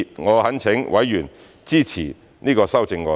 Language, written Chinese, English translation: Cantonese, 我懇請委員支持這些修正案。, I implore Members to support these amendments